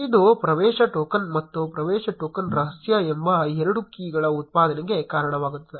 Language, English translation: Kannada, Which will result in generation of two more keys called access token and access token secret